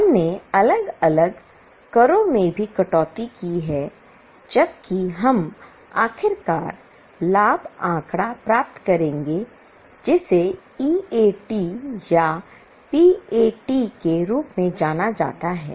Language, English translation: Hindi, We have also deducted taxes separately, whereas where we will finally get profit figure known as EAT or PAT